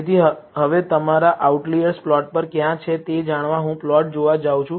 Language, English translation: Gujarati, So, now, to know where your outliers lie on the plot, I am going to look at the plot